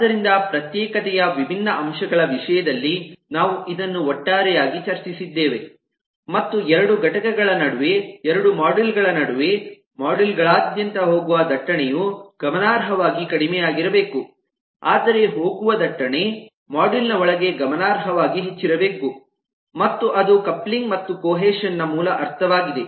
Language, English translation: Kannada, we had always said that between two entities, between two modules, the traffic that goes across modules must be significantly low, whereas the traffic that goes within a module must be significantly high, and that is the basic meaning of coupling and cohesion